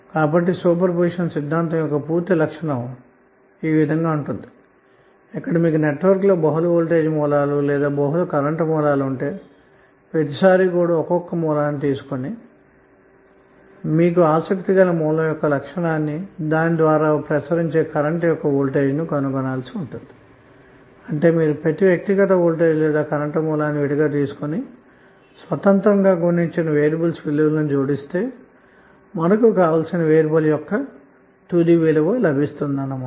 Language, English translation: Telugu, So this will give a complete property of super position theorem where if you have multiple voltage sources or multiple current sources in the network you have to take a 1 source at a time and find the voltage across a current through an element of your interest means the given element property which you want to find out and then when you get the variables value independently for each and individual voltage or current source you will add them up get the final value of the variable